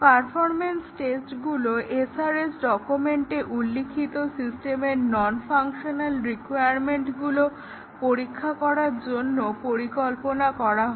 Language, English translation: Bengali, The performance tests are designed to test the non functional requirements of the system as documented in the SRS document